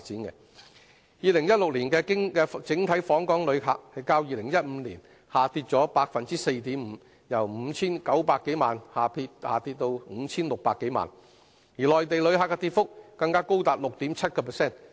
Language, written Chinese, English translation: Cantonese, 2016年的整體訪港旅客，較2015年下跌 4.5%， 由 5,900 多萬人下跌至 5,600 多萬人，內地旅客的跌幅更高達 6.7%。, The total visitor arrivals in 2016 dropped by 4.5 % from 59 million in 2015 to 56 million and an even greater rate of decrease 6.7 % was recorded with visitors from the Mainland